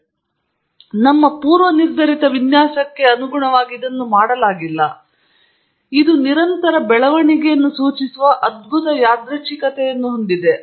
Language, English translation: Kannada, First it is not done to your preconceived design and it has a wonderful randomness suggestive of unending growth